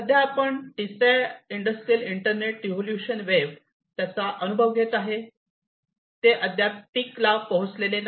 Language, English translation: Marathi, So, currently we are under the third wave or the industrial internet wave and it has not yet reached its peak